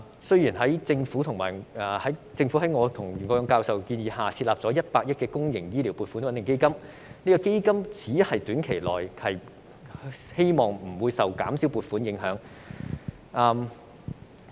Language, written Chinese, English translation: Cantonese, 雖然政府在我和袁國勇教授建議下，設立了100億元公營醫療撥款穩定基金，但基金只能夠令醫療服務在短期內不受減少撥款影響。, Although the Government has set up a 10 billion public healthcare stabilization fund on the advice of Prof YUEN Kwok - yung and I it can only avoid the impact of reduced funding allocation on healthcare services in the short run